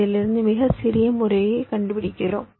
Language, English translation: Tamil, out of that i am finding the smallest method right